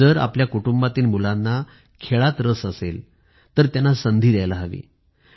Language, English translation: Marathi, If the children in our family are interested in sports, they should be given opportunities